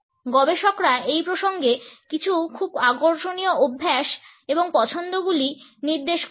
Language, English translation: Bengali, Researchers have pointed out some very interesting habits and preferences in this context